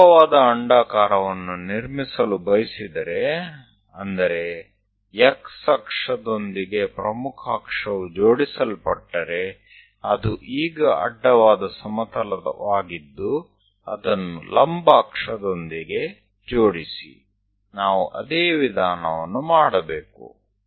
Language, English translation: Kannada, If we would like to construct vertical ellipse, that means the major axis is aligned with x axis are now horizontal plane that if it is aligned with vertical axis, the same procedure we have to do